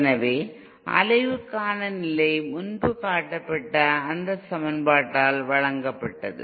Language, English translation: Tamil, so the way to so the condition for oscillation was given by that equation which was shown previously